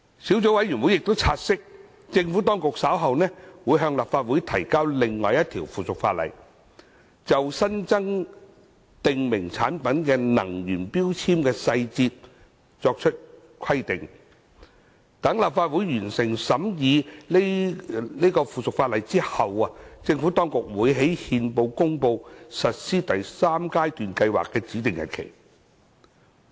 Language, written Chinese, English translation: Cantonese, 小組委員會察悉，政府當局稍後會向立法會提交另一項附屬法例，就新增訂明產品能源標籤的細節作出規定，待立法會完成審議該附屬法例後，政府當局會於憲報公告實施第三階段計劃的指定日期。, The Subcommittee has noted that the Administration will later introduce another piece of subsidiary legislation to the Legislative Council to provide for the energy labels of new prescribed products in detail . Upon the completion of the scrutiny of the subsidiary legislation by the Legislative Council the Administration will by notice published in the Gazette appoint a date for implementing the third phase of MEELS